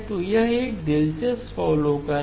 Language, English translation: Hindi, So that is an interesting observation